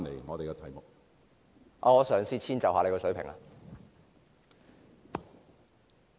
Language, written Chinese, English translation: Cantonese, 我會嘗試遷就主席的水平。, I will try to accommodate myself to the Presidents standard